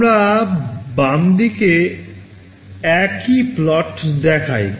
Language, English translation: Bengali, We show that same plot on the left